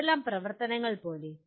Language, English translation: Malayalam, Like which are the activities